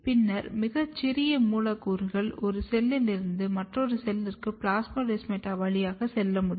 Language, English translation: Tamil, And then very,very few molecules or very small molecules can move from one cell to another cell through the plasmodesmata